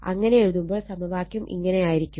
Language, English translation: Malayalam, So, your equation will be like this right